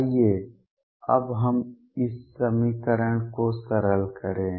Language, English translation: Hindi, Let us now simplify this equation